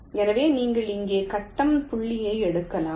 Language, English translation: Tamil, so you just imagine this grid point